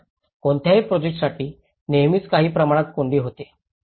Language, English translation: Marathi, Of course, for any project, there are always some downturns